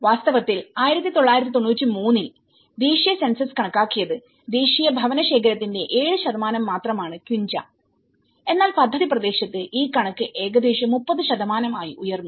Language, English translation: Malayalam, And in fact, in 1993, the national census estimated that the quincha formed just 7% of the national housing stock but within the project area, this figure rose to nearly 30%